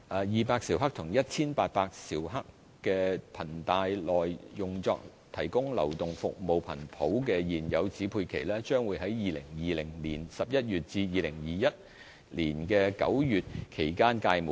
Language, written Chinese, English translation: Cantonese, 二百兆赫及1800兆赫頻帶內用作提供流動服務頻譜的現有指配期，將於2020年11月至2021年9月期間屆滿。, The existing assignments of 200 MHz and 1 800 MHz frequency spectrum for mobile services are due to expire between November 2020 and September 2021